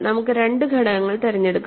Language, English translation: Malayalam, Let us choose two elements